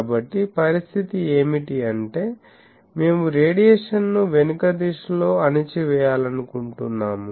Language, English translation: Telugu, So, what is the condition; that means, we want to suppress the radiation in the backward direction